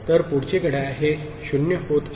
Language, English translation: Marathi, So, next clock right this is becoming 0